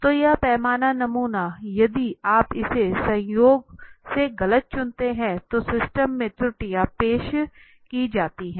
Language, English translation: Hindi, So how this scale sample right, if you choose it by chance a wrong one, you then the errors are introduced into the system